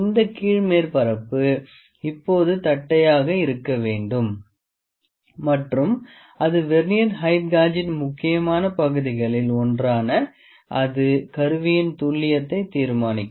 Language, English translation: Tamil, This bottom surface of the base has to be flat now this is one of the important parts of the Vernier height gauge that determines the accuracy of the instrument